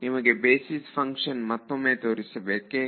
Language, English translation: Kannada, Do you want me to show you the basis function again